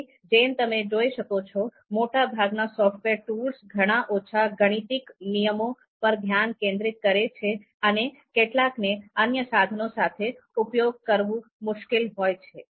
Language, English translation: Gujarati, So as you can see here, most of the software tools focus on a small number of algorithms, some are difficult to adopt and interface with other tools